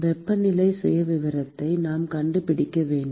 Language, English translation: Tamil, We need to find the temperature profile